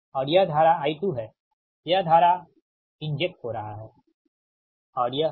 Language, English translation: Hindi, this current is getting injected right